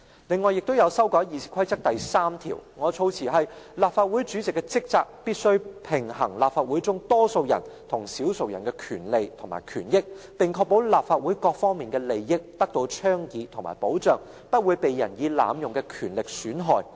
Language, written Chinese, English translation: Cantonese, 此外，我亦提出修改《議事規則》第3條，我的措辭是："立法會主席的職責是必須平衡立法會中多數人與少數人的權利及權益，並確保立法會各方面的利益得到倡議和保障，不會被任意濫用的權力損害。, Besides I also propose to amend RoP 3 . The wording of my amendment is The duties of the President require the balancing of the rights and interests of the majority and minority in the Council and that the interests of all parts of the Council are advocated and protected against the use of arbitrary authority